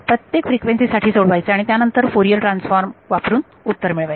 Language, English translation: Marathi, Solve for each frequency and then use Fourier transforms to get answer right